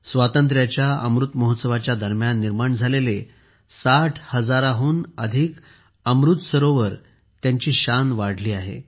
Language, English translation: Marathi, More than 60 thousand Amrit Sarovars built during the 'Azaadi ka Amrit Mahotsav' are increasingly radiating their glow